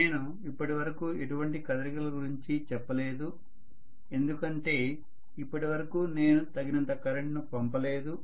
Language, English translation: Telugu, I have not really mentioned about any movement so far because I have not really sufficiently pumped in you know enough amount of current